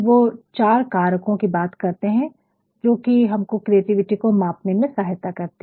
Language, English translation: Hindi, And, they actually talk about 4 factors which actually can help us measure creativity